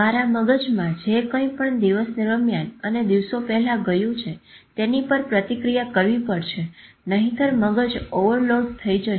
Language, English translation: Gujarati, Whatever has gone into your head in the daytime or maybe in days before has to be processed otherwise mind will get into overload